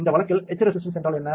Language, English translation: Tamil, What is etch resistance in this case